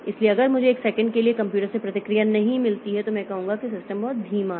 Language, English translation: Hindi, So, if I don't get a response from a computer for one second, then I will take that the system is pretty slow